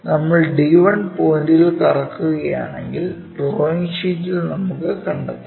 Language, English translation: Malayalam, If we are rotating around d 1 point, is more like let us locate on the drawing sheet